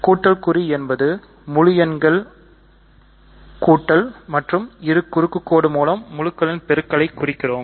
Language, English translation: Tamil, So, plus is the addition of an integers and let us denote multiplication by cross